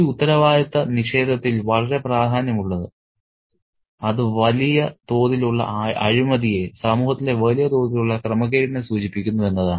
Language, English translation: Malayalam, And what's very significant about this rejection of responsibility is the fact that it indicates at a large scale corruption, a large large scale disorder in society